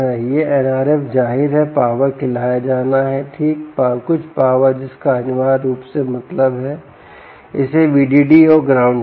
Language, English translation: Hindi, r f obviously has to be fed power, right, some power ah um, which essentially means that it needs a v d d and a ground ah um